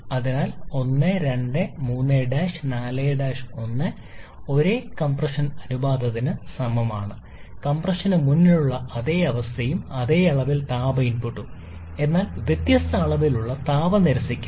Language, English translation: Malayalam, And then we have 4 prime somewhere here, so 1 2 3 prime 4 prime 1 which corresponds to same compression ratio, same state before compression and same amount of heat input but different amount of heat rejection